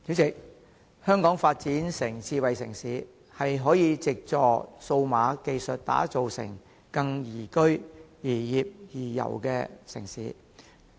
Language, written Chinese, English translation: Cantonese, 主席，香港推動智慧城市的發展，可以藉助創新科技打造成更宜居、宜業、宜遊的城市。, President the promotion of smart city development in Hong Kong can leverage on innovation and technology to build a city that is good for living working and travelling